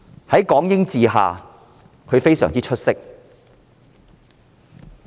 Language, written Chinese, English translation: Cantonese, 在港英治下，她非常出色。, She used to be very outstanding under the British rule of Hong Kong